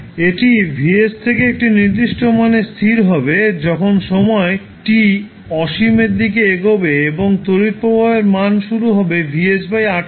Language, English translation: Bengali, It will settle down to some value to the value vs at some time t that tends to infinity and the current: current will start from vs by r